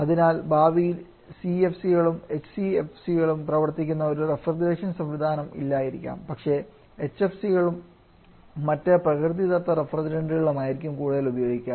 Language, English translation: Malayalam, So in future, we may not be having any refrigeration system running CFC is anyone HCFC but more on HFC and other natural refrigerants